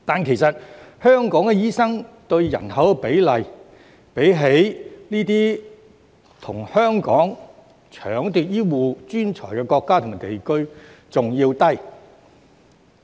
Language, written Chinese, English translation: Cantonese, 其實，香港的醫生對人口比例，比這些與香港搶奪醫護專才的國家和地區更低。, In fact the doctor - to - population ratio in Hong Kong is lower than that in those countries and regions which are competing with Hong Kong for healthcare professionals